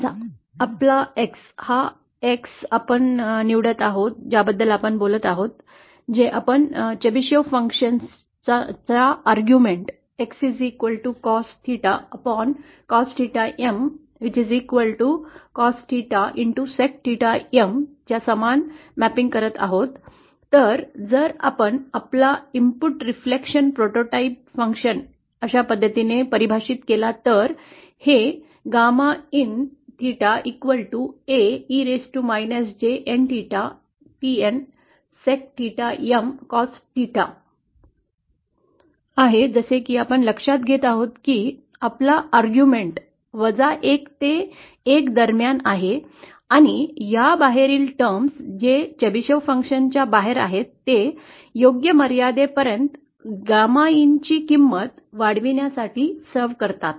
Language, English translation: Marathi, Suppose we choose our X, this X that we are talking about, which we are mapping the argument of the Chebyshev function as cos theta upon cos theta M which is equal to cos theta, sec theta M, then if we define our input reflection prototype function as, like this the first that we note is that our argument is between minus one to plus one and the terms which are outside this, which are outside the Chebyshev function are served to scale the gamma in value to the appropriate limits